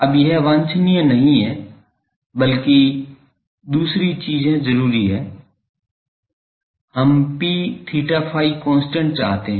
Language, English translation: Hindi, Now, this is not desirable rather we the other thing is desirable we want to have P theta phi constant